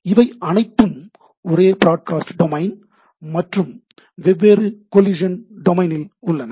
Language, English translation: Tamil, Listen to, they are in the same broadcast domain, but they are in the different collision domain